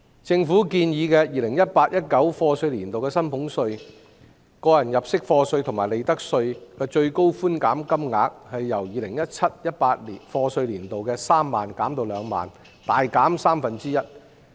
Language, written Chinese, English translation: Cantonese, 政府建議 2018-2019 課稅年度的薪俸稅、個人入息課稅及利得稅的最高寬減金額由 2017-2018 課稅年度的3萬元減至2萬元，大減三分之一。, The Government proposed to reduce the concession ceilings for salaries tax tax under PA and profits tax from 30,000 in YA 2017 - 2018 to 20,000 in YA 2018 - 2019 or for one third substantially